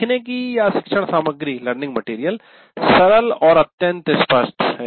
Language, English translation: Hindi, Learning material is fairly simple and straightforward